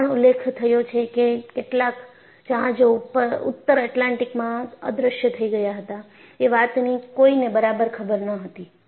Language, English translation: Gujarati, And it is also mentioned that, no one know exactly how many ships just disappeared in North Atlantic